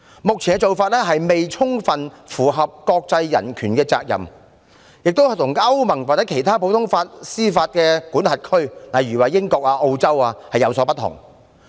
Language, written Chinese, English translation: Cantonese, 目前的做法，未充分符合國際人權法的要求，亦跟歐盟或其他普通法司法管轄區，例如英國和澳洲等的做法有所不同。, The current approach is not fully compliant with international human rights obligations and it is also different from the approach in the European Union as well as other common law jurisdictions such as Great Britain and Australia